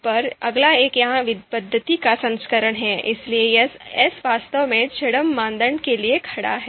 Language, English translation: Hindi, Then the next next one is ELECTRE Is version of this method, so here ‘s’ is actually standing for you know pseudo criteria